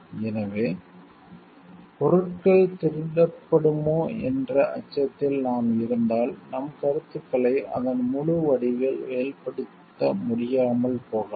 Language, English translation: Tamil, So, if we are in the fear of things getting stolen, then it may not like we may not be able to express our ideas in a in it is fullest form